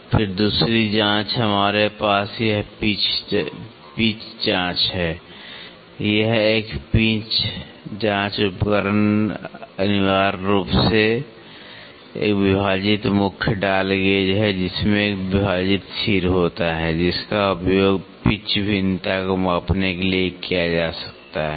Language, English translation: Hindi, Then, the other check we have this pitch checking, a pitch checking instrument is essentially a dividing head dial gauge it has a dividing head that can be used to measure pitch variation